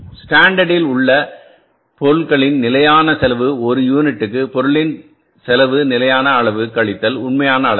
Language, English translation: Tamil, Standard cost of material per unit, standard cost of material per unit into standard quantity minus actual quantity